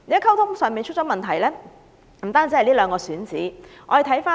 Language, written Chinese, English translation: Cantonese, 溝通的問題不單在這兩個選址上顯示出來。, Communication problems however have been exposed not only by the two selected locations